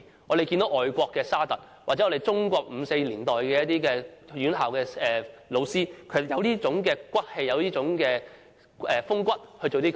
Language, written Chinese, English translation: Cantonese, 我們看見外國的沙特，或中國在五四年代的院校老師便有這種骨氣、風骨來做這些事情。, We can find such moral integrity and strength of character to do this sort of things in SARTRE who is a foreigner or the teaching staff of tertiary education institutions in the May Fourth era in China